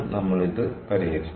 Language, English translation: Malayalam, and we solved that